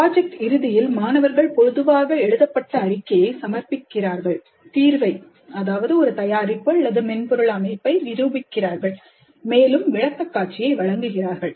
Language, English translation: Tamil, At the end of project students typically submit a written report, demonstrate the solution, a product or a software system, they demonstrate the solution and also make a presentation